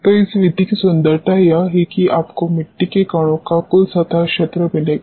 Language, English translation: Hindi, So, the beauty of this method is this will give you the total surface area of the soil particles